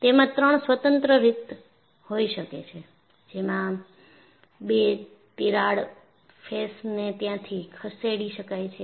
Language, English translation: Gujarati, There could be three independent ways in which the two crack surfaces can move